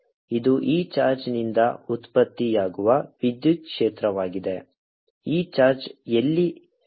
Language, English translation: Kannada, so this is electric field produced by this charge, for this charge is moving, so r